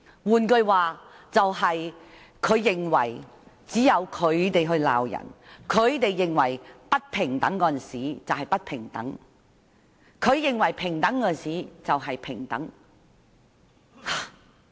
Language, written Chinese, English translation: Cantonese, 換句話說，她認為只有他們可以批評別人，他們認為不平等的就是不平等，他們認為平等的就是平等。, In other words she thinks that only the opposition parties can criticize others; what they consider unequal is unequal and what they consider equal is equal